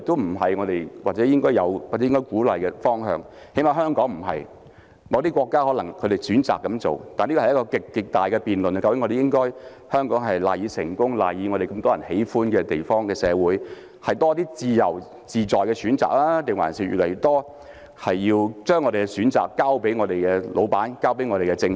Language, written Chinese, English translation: Cantonese, 我認為這不是我們應有或應鼓勵的方向，起碼對香港來說不是，某些國家可能選擇這樣做，但這是極具爭議的辯論，究竟香港賴以成功、賴以成為眾人喜歡的社會的因素，是要多些自由自在的選擇，還是將我們越來越多的選擇交予老闆、交予政府？, I do not consider this a direction worth taking or encouraging at least not for Hong Kong . Some countries may opt for this approach but it is highly debatable . After all which factor contributes to Hong Kongs success as a generally attractive society the availability of more free choices or the increasing reliance on the bosses and the Government to make choices for us?